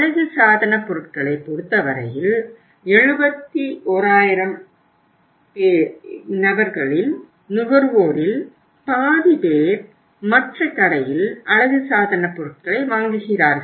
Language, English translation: Tamil, In case of the cosmetics it is a very big chunk near to the half of the consumers out of 71,000, they buy cosmetics at the other store